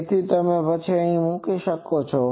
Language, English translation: Gujarati, So, then you can put it here